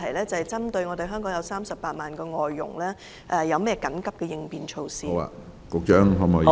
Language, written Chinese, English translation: Cantonese, 針對香港的38萬名外傭，請問有何緊急應變措施？, What kind of contingency measures will be taken for the 380 000 FDHs in Hong Kong?